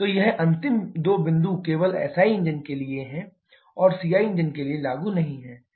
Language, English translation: Hindi, So, this last two points are not applicable for CI engines only for SI engines